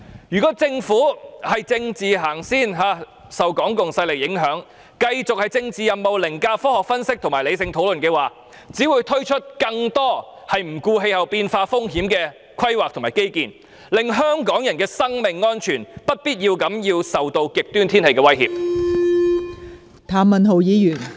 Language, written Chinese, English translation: Cantonese, 如果政府以政治先行，受港共勢力影響，繼續以政治任務凌駕科學分析及理性討論，則只會推出更多不顧氣候變化風險的規劃及基建，令香港人的生命安全遭受不必要的極端天氣威脅。, If the Government accords priority to politics and under the influence from the Hong Kong communist powers continues to override scientific analyses and sensible discussions with political missions then it will roll out more planning and infrastructure projects that ignore the risks from climate change thereby exposing the lives of Hong Kong people to the unnecessary threats of extreme weather